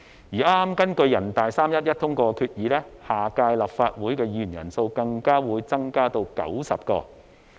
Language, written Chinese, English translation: Cantonese, 而根據人大常委會剛於3月11日通過的決議，下屆立法會議員人數更會增至90人。, According to the decision just passed by the Standing Committee of the National Peoples Congress on 11 March the number of Members of the next Legislative Council will increase to 90